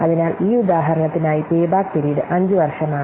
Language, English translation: Malayalam, So, for this example, the payback period is year 5